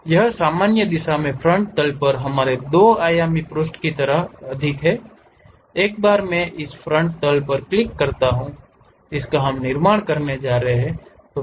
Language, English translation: Hindi, This is more like our 2 dimensional page on frontal plane in the normal direction, once I click that frontal plane we are going to construct